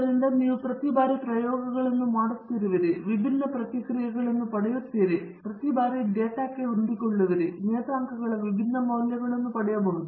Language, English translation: Kannada, So, each time you do an experiment, you will get different responses and each time you fit the data to the model, you may get different values of the parameters